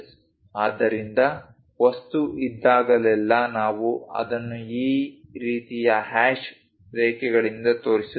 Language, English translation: Kannada, So, whenever material is there, we show it by this kind of hash lines